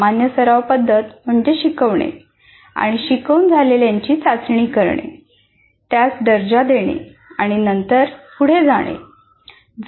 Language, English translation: Marathi, If you look at this common practice is to teach, test the learning, grade it and then move on